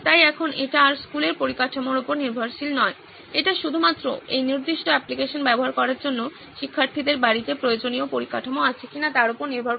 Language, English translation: Bengali, So now it is no longer dependent on the school infrastructure, it is only dependent on whether students have the required infrastructure at home to access this particular application